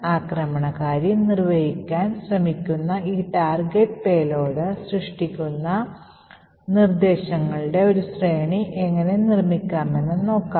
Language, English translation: Malayalam, So, let us look at how we go about building a sequence of instructions that creates this particular target payload that the attacker would want to execute